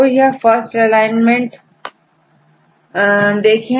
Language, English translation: Hindi, So, if we take this alignment